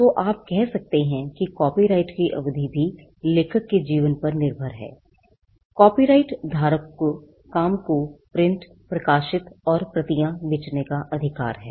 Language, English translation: Hindi, So, you can say that the term of the copyright is also dependent on the life of the author, the copyright holder has the right to print publish sell copies of the work